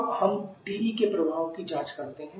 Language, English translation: Hindi, Now let us check the effect of TE